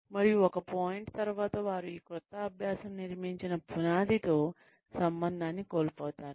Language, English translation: Telugu, And, after a point, they somehow, lose touch with the foundation, that this new learning had been built on